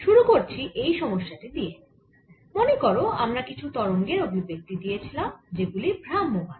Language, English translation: Bengali, so to start with, in this problem, recall that we had given certain forms for waves which are traveling